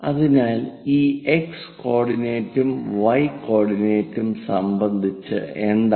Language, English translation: Malayalam, So, what about this x coordinate, y coordinate